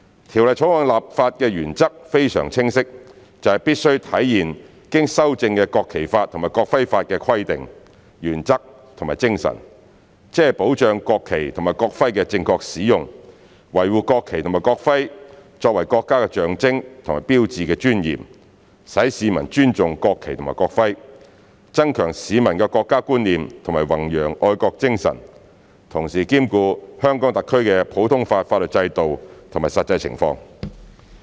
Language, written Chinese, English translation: Cantonese, 《條例草案》的立法原則非常清晰，就是必須體現經修正的《國旗法》及《國徽法》的規定、原則和精神，即保障國旗及國徽的正確使用，維護國旗及國徽作為國家的象徵和標誌的尊嚴，使市民尊重國旗及國徽，增強市民的國家觀念和弘揚愛國精神，同時兼顧香港特區的普通法法律制度及實際情況。, The legislative principles of the Bill are very clear and that is to reflect the provisions principles and spirit of the amended National Flag Law and the amended National Emblem Law safeguard the proper use and preserve the dignity of the national flag and the national emblem which are the symbols and signs of our country so as to promote respect for the national flag and national emblem enhance the sense of national identity among citizens and promote patriotism whilst taking into account our common law system and the actual circumstances in Hong Kong